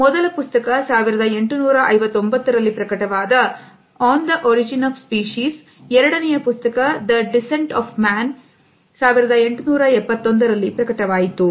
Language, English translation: Kannada, The first book was On the Origin of a Species which was published in 1859, the second book was The Descent of Man which was published in 1871